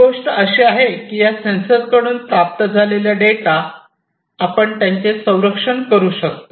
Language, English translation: Marathi, So, one thing is that the data that is received from these sensors, we can we have to protect it